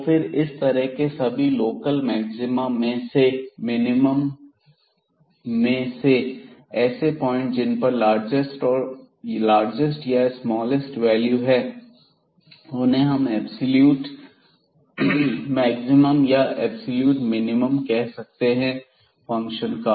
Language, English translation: Hindi, So, among all these local maximas a local maxima and minima we have to find the largest the smallest values and then we can claim that this is the absolute maximum or the absolute minimum or the a function